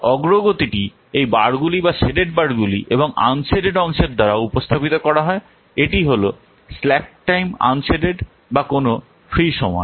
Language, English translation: Bengali, The progress is represented by this bars or the shaded parts and unshaded part is this what slack time or the what free time